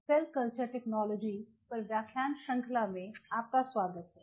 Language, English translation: Hindi, Welcome back to the lecture series on Cell Culture Technology